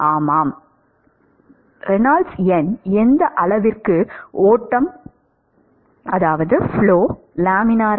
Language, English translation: Tamil, Yeah, up to what Reynolds number is the flow laminar